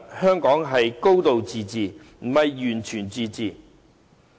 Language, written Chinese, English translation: Cantonese, 香港是"高度自治"，並非"完全自治"。, That Hong Kong enjoys a high degree of autonomy does not mean that it enjoys total autonomy